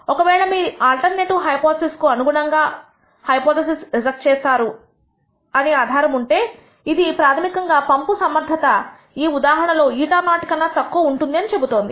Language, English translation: Telugu, If there is evidence, you will reject this hypothesis in favor of the alternative hypothesis which is essentially saying that the pump efficiency in this case is less than eta naught